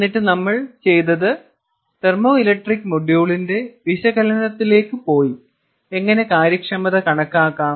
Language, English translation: Malayalam, and then what we did was we went into the analysis of the thermoelectric module, trying to see what is the, how do we calculate efficiency